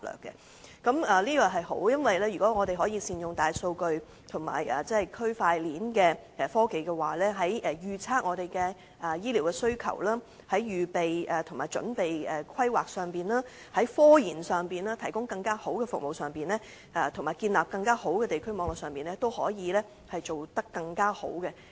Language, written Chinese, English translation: Cantonese, 這是好事，因為如果我們可以善用大數據和區塊鏈的科技，在預測香港的醫療需求上、籌備規劃上、科研上、提供更好的服務上，以及建立更完善的地區網絡上，均可以做得更好。, The better use of big data and the blockchain technology will facilitate the Governments forecast of the health care needs of the city and foster preparation and planning scientific research service enhancement and the establishment of a more comprehensive district network